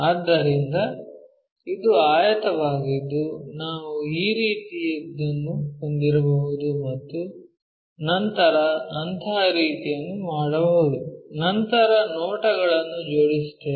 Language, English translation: Kannada, So, this is the rectangle what we might be having something like this and then make a such kind of thing, then align the views